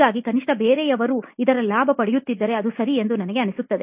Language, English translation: Kannada, So I feel like at least if somebody else is benefitting from it, that is okay